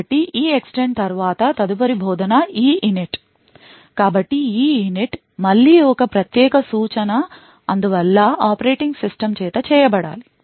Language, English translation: Telugu, So, after EEXTEND the next instruction get invoked is EINIT, so EINIT is again a privilege instruction and therefor is should be done by the operating system